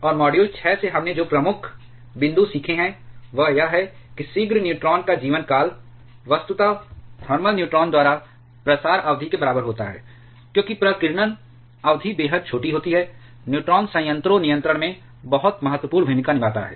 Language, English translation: Hindi, And the key points that we have learnt from module 6 is that the prompt neutron lifetime is virtually equal to the diffusion period by thermal neutron because scattering period is extremely small delayed neutron play a very crucial role in reactor control